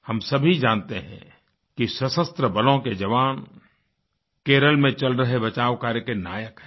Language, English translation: Hindi, We know that jawans of our armed forces are the vanguards of rescue & relief operations in Kerala